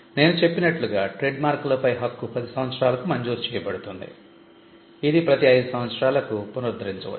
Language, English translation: Telugu, Trademarks as I said trademarks the duration is it is granted for 10 years it can be renewed every 5 years